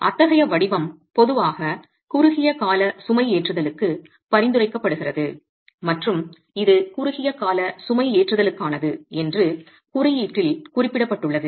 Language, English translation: Tamil, Such a format is normally prescribed for short term loading and is specified in the code that it is for short term loading